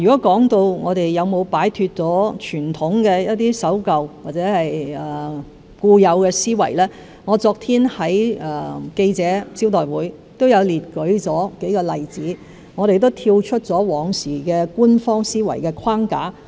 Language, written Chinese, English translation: Cantonese, 關於我們有否擺脫傳統上一些守舊或固有的思維，我昨天在記者招待會上已列舉數個例子，說明我們已跳出過往官方思維的框架。, As regards whether we have broken away from some conservative traditions or some inherent thinking I cited a few examples at the press conference yesterday to illustrate that we had already thought outside the box